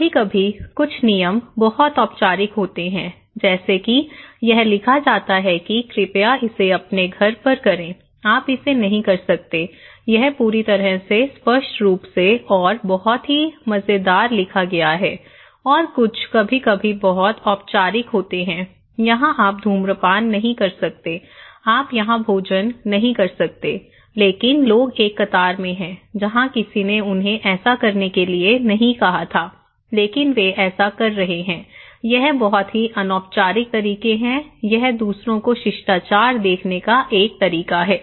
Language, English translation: Hindi, Like sometimes, some rules are very formal like itís written that please do it at your home, you cannot do it, it is completely, explicitly and very fun written and some are sometimes that a very formal that you cannot smoke here, you cannot eat here but people are on a queue where nobody told them to do that but they are doing it, itís very informal manner, it is a kind of to showing the manners to others; respect to others